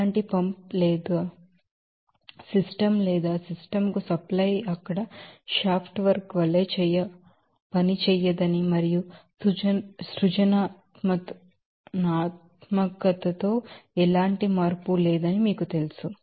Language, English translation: Telugu, No pump no other things is used to you know supply to the system or system does not work as a shaft work there and no change in innovation